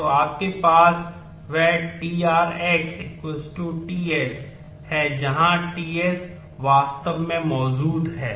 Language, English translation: Hindi, So, that you have that tr x is equal to t s where t s actually exist in s